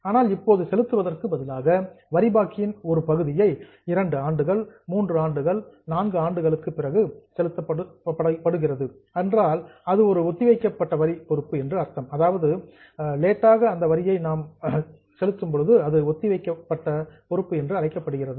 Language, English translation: Tamil, But in general, whichever items which are not to be paid in next year but can be paid beyond that, then it is called as a deferred tax liability